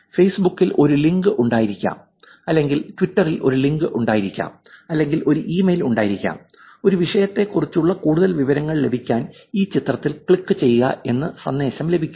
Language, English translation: Malayalam, There could be a link on Facebook, there could be a link on Twitter; there could be an email to say, please click on this image to get some more information about a topic and it could actually take you to a fake website